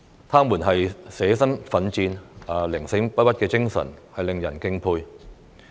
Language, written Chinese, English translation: Cantonese, 他們捨身奮戰、寧死不屈的精神，令人敬佩。, Their spirit of sacrificing their lives to fight and dying rather than submitting is admirable